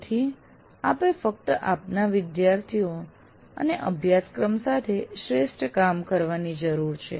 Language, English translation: Gujarati, So you have to do the best job with the students and with the curriculum that you have